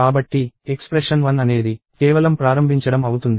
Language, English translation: Telugu, So, the expression 1 is just the initialization